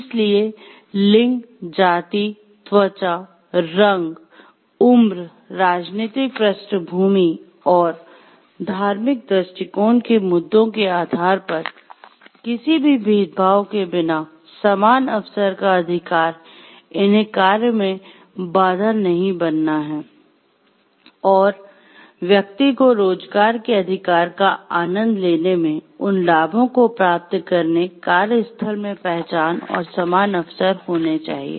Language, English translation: Hindi, So, the right to equal opportunity without any discrimination based on this gender, race, skin, color, age, political backgrounds and religious outlook issues, they should not be acting as barriers in having the person in enjoying the right to employment and getting the benefits are able to benefits and recognitions in the workplace and having equal opportunities